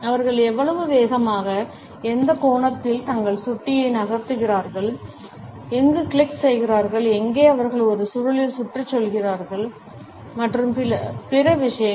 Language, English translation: Tamil, Ranging from how fast and at which angles they move their mouse, where they click, where they hover around in a scroll, how do they device rotations, the rate at which they tap, where they pinch and similar other things